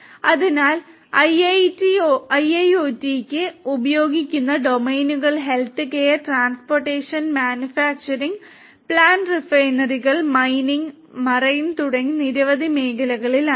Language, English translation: Malayalam, So, the domains of used for IIoT lies in many different areas such as healthcare, transportation, manufacturing, plants refineries, mining, marine and many; many more